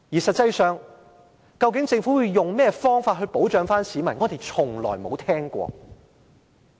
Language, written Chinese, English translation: Cantonese, 實際上，究竟政府要以甚麼方法保障市民呢？, In fact what exactly will the Government do to protect the personal data privacy of Hong Kong people?